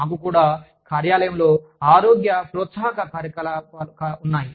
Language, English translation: Telugu, We also have, workplace health promotion programs